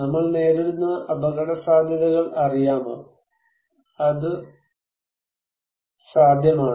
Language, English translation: Malayalam, So, can we know the risks we face, is it possible